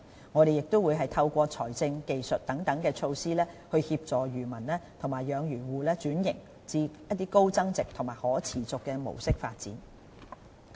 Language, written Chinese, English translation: Cantonese, 我們亦會透過財政、技術等措施，協助漁民及養魚戶轉型至高增值及可持續的模式發展。, We will also assist fishermen and fish farmers in switching to high value - added and sustainable modes of development